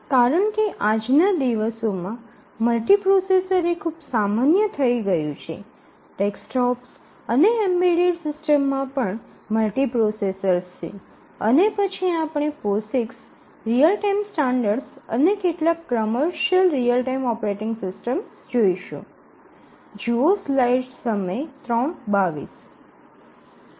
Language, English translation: Gujarati, Because nowadays multiprocessors are becoming common place even the desktops embedded devices have multiprocessors and then we will look at the Posix real time standard and then we will look at some of the commercial real time operating system